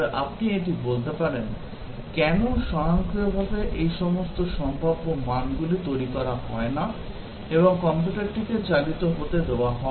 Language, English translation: Bengali, But then you might say that, why not automatically generate all this possible values and let the computer execute